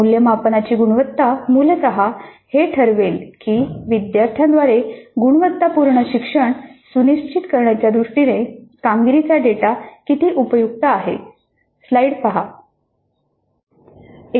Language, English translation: Marathi, So these two parameters are extremely important and the quality of assessment essentially would determine how useful is the performance data for us in terms of ensuring quality learning by the students